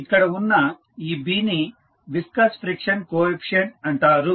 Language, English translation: Telugu, This B is called a viscous friction coefficient